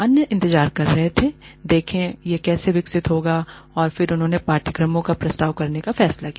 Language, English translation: Hindi, Others, waited to see, how this would develop, and then, they decided to propose courses